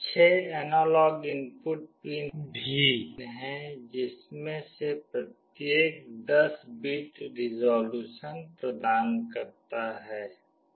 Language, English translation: Hindi, There are also 6 analog input pins, each of which provide 10 bits of resolution